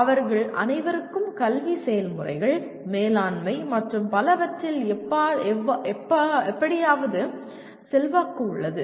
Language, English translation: Tamil, They all have influence somehow on the academic processes, management and so on